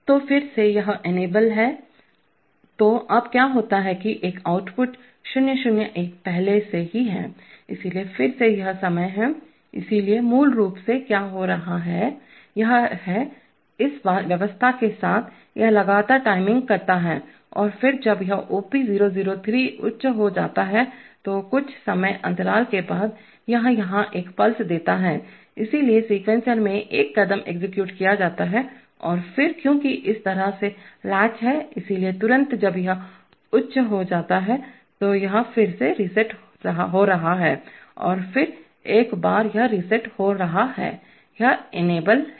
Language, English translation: Hindi, So again it is enabled, so now what happens is that, an output 0 0 1 is already on, so therefore again it time, so basically what is happening is that, it is, with this arrangement, it is continuously timing and then every and the moment this OP003 goes high, after the timing interval, this gives a pulse here, so a step is executed in the sequencer and then because it is latch like this, so immediately when this goes high this is again becoming reset and then once it is becoming reset, it is, this one is enabled